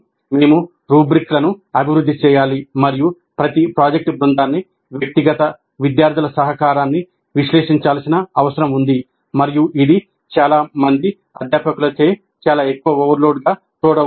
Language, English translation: Telugu, We need to develop rubrics and we need to evaluate each project team, contribution of individual students, and this may be seen as quite heavy overload by many of the faculty